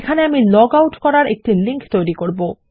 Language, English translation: Bengali, Here Ill create a link to log out